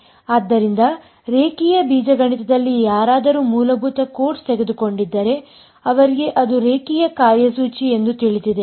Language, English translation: Kannada, So, anyone who has taken a basic course in linear algebra knows that the operator is a linear operator